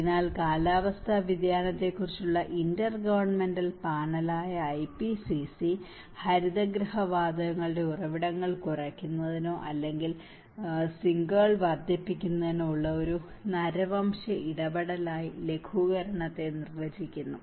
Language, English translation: Malayalam, So, the IPCC which is the Intergovernmental Panel on Climate Change defines mitigation as an anthropogenic intervention to reduce the sources or enhance the sinks of greenhouse gases